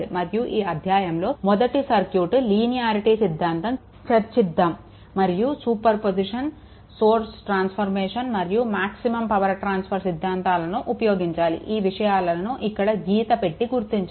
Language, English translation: Telugu, And in this chapter right, we first discuss the concept of circuit linearity and in also will discuss the concept of super position source transformation and maximum power transfer, I have underlined those things